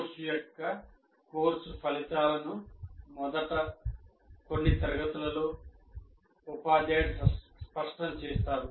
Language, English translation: Telugu, The course outcomes of the course are made clear in the first few classes by the teacher